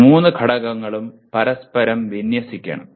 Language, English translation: Malayalam, And these three elements should be in alignment with each other